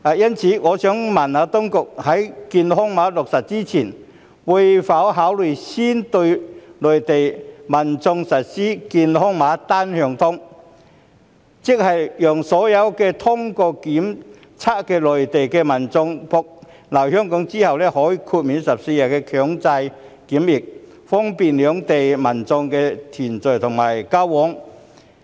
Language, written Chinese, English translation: Cantonese, 因此，我想問：當局在健康碼落實前，會否考慮先對內地民眾實施"健康碼單向通"，讓所有通過檢測的內地民眾來港後可獲豁免14天強制檢疫，以方便兩地民眾的團聚及交往。, Therefore my question is Will the authorities first consider introducing before the implementation of the health code system a unidirectional health code to exempt Mainland visitors who have passed the test from the 14 - day compulsory quarantine requirement upon their arrival to Hong Kong with a view to facilitating reunion and exchanges between people of the two places?